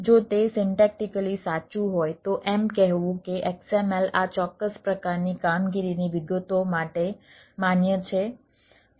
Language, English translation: Gujarati, if it is syntactically correct to say that the, the xml is valid for this particular type of operations